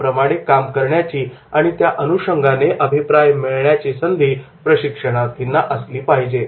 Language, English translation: Marathi, Training should have the opportunity to practice and receive feedback